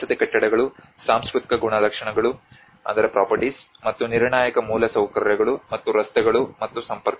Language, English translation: Kannada, Residential buildings, cultural properties, and the critical infrastructure, and the roads and the connectivity